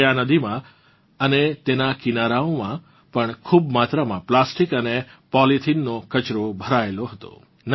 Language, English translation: Gujarati, Actually, this river and its banks were full of plastic and polythene waste